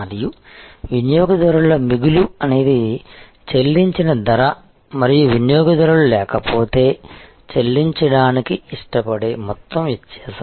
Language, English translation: Telugu, And the customer surplus is the difference between the price paid and the amount the customer would have been willing to pay otherwise